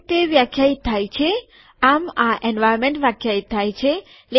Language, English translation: Gujarati, This is how it is defined, how this environment is defined